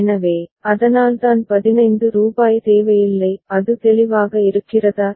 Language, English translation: Tamil, So, that is why rupees 15 is not required ok; is it clear